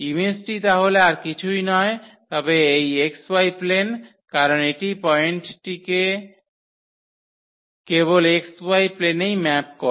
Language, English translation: Bengali, And therefore, this image is nothing but this x y plane because this maps the point to the x y plane only